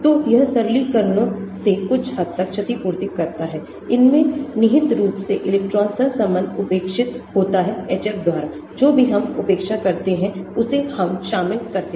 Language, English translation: Hindi, So, this compensates to some extent from the simplifications, it implicitly includes electron correlation neglected by HF, whatever we neglect we include that